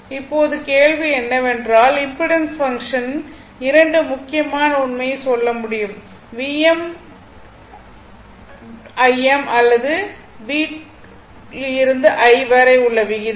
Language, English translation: Tamil, Now, question is that impedance function must tell 2 important fact; the ratio of V m to I m or V to I